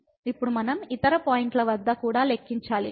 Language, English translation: Telugu, Now we have to also compute at other points